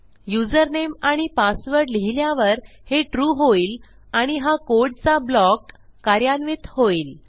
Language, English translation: Marathi, So this requires the username and password for this to be TRUE and to execute this block of code here